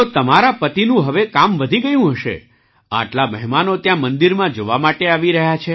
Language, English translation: Gujarati, So your husband's work must have increased now that so many guests are coming there to see the temple